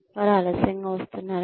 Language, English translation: Telugu, Are they coming late